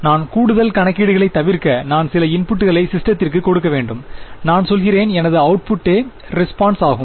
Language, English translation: Tamil, So, what will be the, if I do not want to do any additional calculations, I just want to give some input to the systems I said my output is itself the impulse response